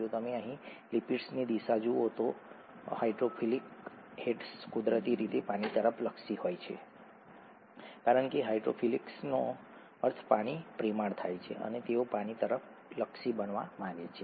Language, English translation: Gujarati, If you look at the orientation of the lipids here, the hydrophilic heads are oriented towards water naturally because the hydrophilic means water loving and they would like to be oriented towards water